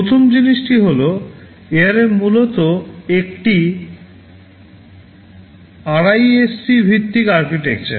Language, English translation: Bengali, So, ARM is based on the RISC architecture